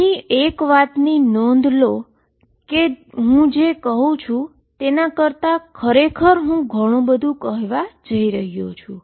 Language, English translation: Gujarati, Notice by making that statement I am actually saying much more than what I just state it